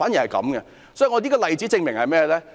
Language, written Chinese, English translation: Cantonese, 這個例子證明了甚麼？, What does this case prove?